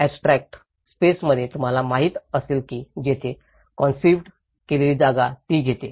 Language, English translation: Marathi, In the abstract space, you know, that is where the conceived space takes over it